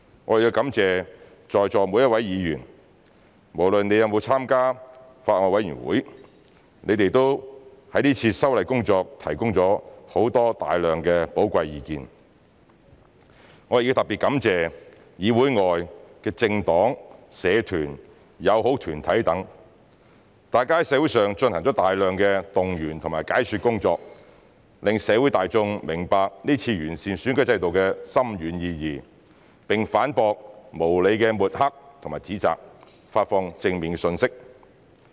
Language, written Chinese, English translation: Cantonese, 我亦要感謝在座每一位議員，無論你們有沒有參加法案委員會，你們都為這次修例工作提供了很多寶貴的意見；我亦要特別感謝議會外的政黨、社團、友好團體等，大家在社會上進行了大量動員和解說工作，讓社會大眾明白這次完善選舉制度的深遠意義，並反駁無理的抹黑和指責，發放正面信息。, I must also thank the various Honourable Members who are present here now . Irrespective of whether they have participated in the Bills Committee concerned they have all put forth many valuable views on this legislative amendment exercise . I must likewise express particular thanks to those political parties associations and friendly groups outside the legislature for mobilizing enormous manpower in conducting explanatory work in the community to enable the general public to understand the far - reaching significance of the improvements to the electoral system this time around and disseminate a positive message by rebuking those groundless slanders and reproaches